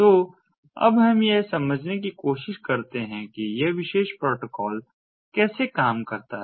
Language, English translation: Hindi, so let us now try to understand how this particular protocol works